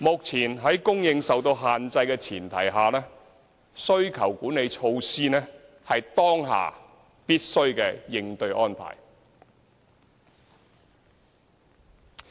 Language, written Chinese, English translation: Cantonese, 在供應受到限制的前提下，需求管理措施是當下必須的應對安排。, Given the limitations in housing supply we must introduce demand - side measures to cope with the current circumstances